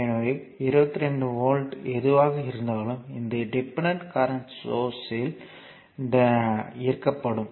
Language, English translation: Tamil, So, whatever 22 volt is there that will be impressed across this dependent current source